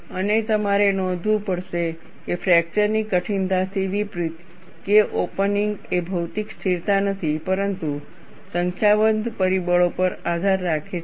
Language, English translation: Gujarati, And, you have to note, unlike the fracture toughness, K opening is not a material constant; but depends on a number of factors